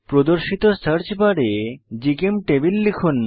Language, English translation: Bengali, In the search bar that appears type gchemtable